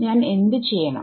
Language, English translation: Malayalam, I can do that